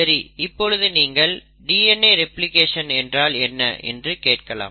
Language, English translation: Tamil, Now, you may ask me what is DNA replication